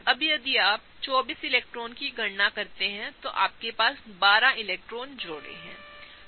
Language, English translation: Hindi, Now, if you calculate 24 electrons, what you have is 12 electron pairs, okay